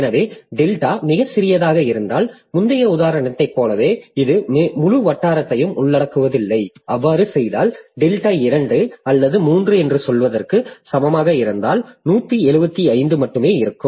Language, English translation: Tamil, So, so this if delta is too small, so it will not encompass the entire locality like in previous example if I make say delta equal to say two or three, then I will have only one seven, five